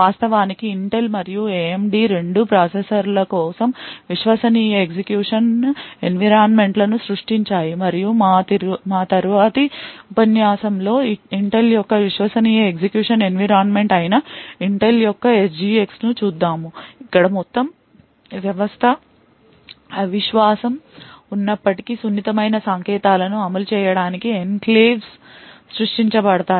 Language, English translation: Telugu, Both Intel and AMD have actually created Trusted Execution Environments in for the processors and in our later lecture we be looking at the Intel’s SGX which is Intel’s Trusted Execution Environment where Enclaves are created in order to run sensitive codes in spite of the entire system being untrusted